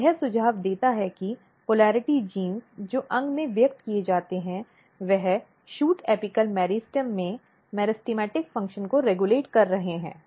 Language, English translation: Hindi, So, this suggest that the polarity genes which are expressed in the organ they are also regulating the meristematic function in the shoot apical meristem